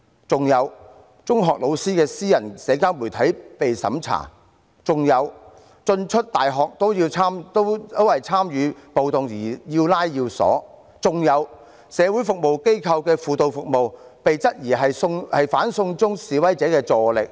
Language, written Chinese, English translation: Cantonese, 此外，中學老師的私人社交媒體被審查、進出大學也因為參與暴動而要拉要鎖、社會服務機構的輔導服務被質疑是"反送中"示威者的助力。, Moreover the social media accounts of secondary school teachers were censored . People entering university campuses were arrested for participating in riots . Counselling services by social service organizations were taken as aiding protesters against extradition to China